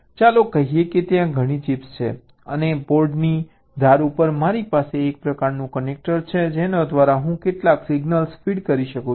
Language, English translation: Gujarati, lets say there are several chips and on the edge of the board i have some kind of a connector through which i can feed some signals